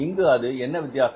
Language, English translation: Tamil, It means what is the difference here